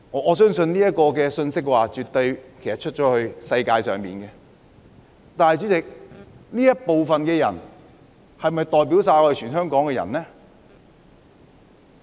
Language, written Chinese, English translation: Cantonese, 我相信這信息絕對已向世界傳達了，但主席，這部分的人是否代表香港全部人呢？, I think this message has absolutely been put across to the world . But Chairman do this bunch of people represent all the people of Hong Kong?